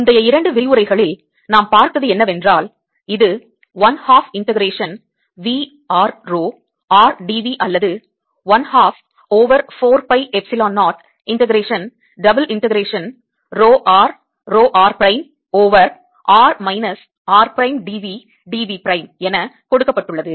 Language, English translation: Tamil, we have been talking about energy, of a charge distribution, and what we have seen in the previous two lectures is that this is given as one half integration, v r rho r d v, or one half one over four pi, epsilon, zero integration, double integration, rho r rho r prime over r minus r prime, d v d v prime